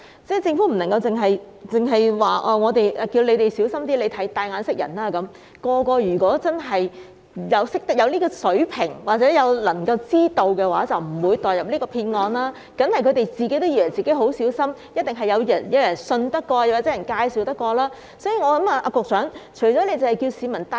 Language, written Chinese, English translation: Cantonese, 政府不能只是叫大家小心一點、"帶眼識人"便算，如果人人都有這種水平或者能夠知道的話，便不會墮入騙案，當然是他們也以為自己已經很小心，一定是認為有可信的人或經別人介紹才決定購買。, The Government cannot simply tell people to be more careful and beware of bad guys . If everyone has this ability or is able to tell them apart nobody would have fallen into these frauds . They certainly thought that they had already exercised great care and they must have thought that the people were trustworthy or they must have been referred by other people before deciding to make the purchase